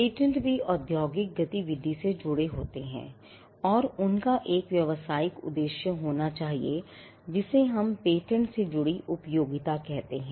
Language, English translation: Hindi, Patents also tied to industrial activity and they had to be a commercial purpose or what we call usefulness or utility tied to patents